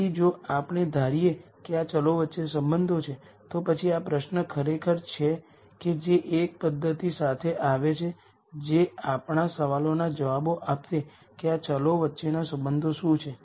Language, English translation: Gujarati, So, if we assume that there are relationships between these variables, then there is this question of actually coming up with a method that will answer our question as to what are the relationships among these variables